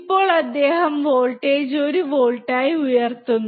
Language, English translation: Malayalam, So now, he is increasing the voltage to 1 volt